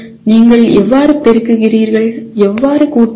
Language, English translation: Tamil, How do you multiply, how do you add